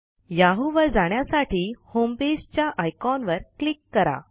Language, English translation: Marathi, Click on the Homepage icon to go to the yahoo homepage